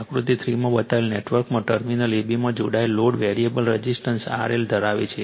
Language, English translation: Gujarati, In the network shown in figure 3 the load connected across terminals AB consists of a variable resistance R L right